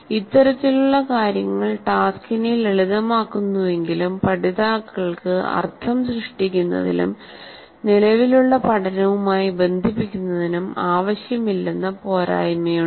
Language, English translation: Malayalam, While this kind of thing makes the task simple, but has the disadvantage that it does not require learners to create a meaning and to connect it to their existing learning